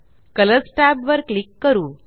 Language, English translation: Marathi, Lets click on the Colors tab